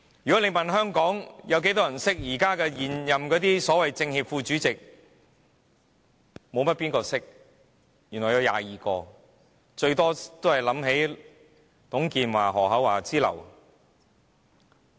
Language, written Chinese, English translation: Cantonese, 如果問香港有多少人認識現任的所謂政協副主席，沒有多少人認識，原來有22名，最多只想起董建華、何厚鏵之流。, Not many people know how many so - called Vice - chairmen of NCCPPCC there are currently . There are 22 of them and we could only think of TUNG Chee - hwa Edmund HO and the like